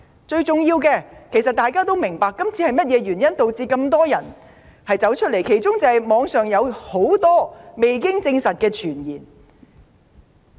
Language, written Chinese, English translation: Cantonese, 最重要的是，眾所周知，眾多市民上街示威，箇中原因是網上有很多未經證實的傳言。, Most importantly as is well - known the reason for so many citizens having taken to the streets to protest is that there are many unsubstantiated rumours on the Internet